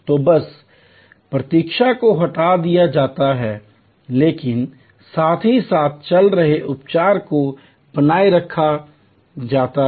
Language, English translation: Hindi, So, just waiting is removed, but waiting with simultaneous treatment going on is retained